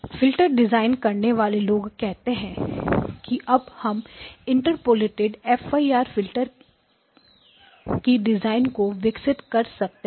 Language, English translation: Hindi, Then the filter design people said, okay we will now develop something called the Interpolated FIR filter